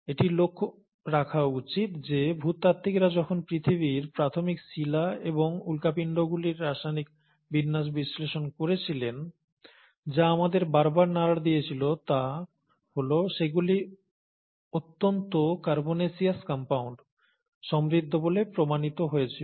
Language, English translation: Bengali, And, it should also be noted that when geologists went on analyzing the chemical composition of the early rocks of earth and the meteorites, which continue to keep hitting us, they were found to be very rich in carbonaceous compounds